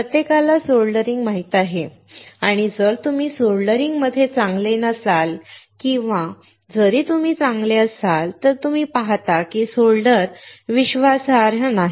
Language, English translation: Marathi, Everyone knows soldering and if you are not good in soldering or even if you are good, you see that the solder is not reliable